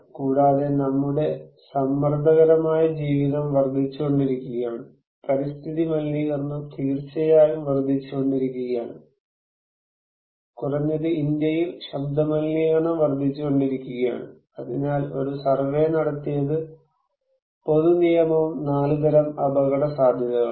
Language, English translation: Malayalam, Also, our stressful life is increasing, environmental pollution definitely is increasing, sound pollution is increasing at least in India, it is increasing for sure, so there was a survey conducted public policy and risk on 4 kinds of risk